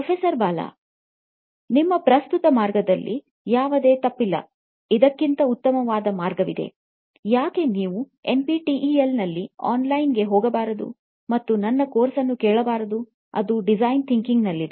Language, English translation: Kannada, There is nothing wrong with your current way, just saying that there is a better way, why do not you go online on NPTEL and listen to my course, it’s on Design Thinking